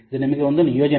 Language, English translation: Kannada, This is an assignment for you